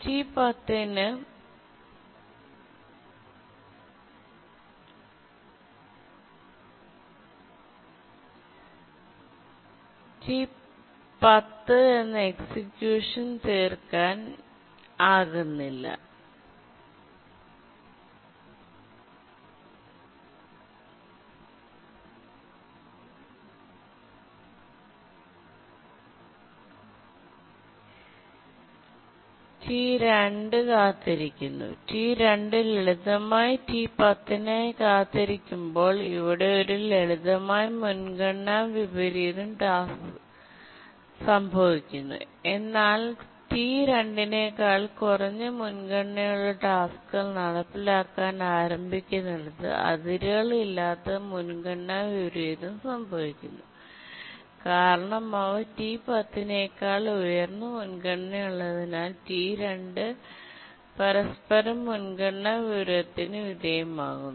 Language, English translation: Malayalam, Here a simple priority inversion occurs when T2 is simply waiting for T10, but then the unbounded priority inversion occurs where tasks which are of lower priority than T2, they start executing because they are higher priority than T10 and T2 undergoes many priority inversion, one due to T10 initially, then later due to T5, T3, T7, etc